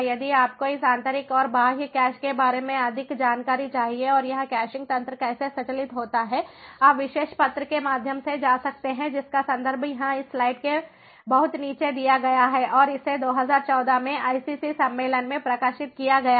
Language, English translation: Hindi, if you need more details about this internal and external cache and how this caching mechanism operates, you can go through this particular paper, the reference of which is given over here at the very bottom of this slide, and this was published in the i triple e conference in two thousand fourteen and ah